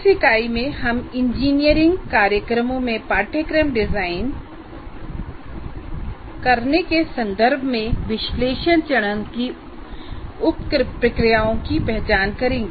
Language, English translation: Hindi, And in this unit, we'll identify the sub processes of analysis phase in the context of designing courses in engineering programs